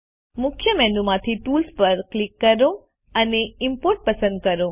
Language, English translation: Gujarati, From the Main menu, click Tools and select Import